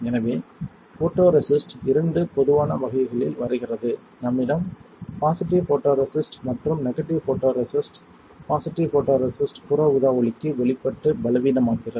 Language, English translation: Tamil, So, photoresist comes in two general categories we have positive photoresist and negative photoresist, positive photoresist works by being exposed to UV light and becoming weaker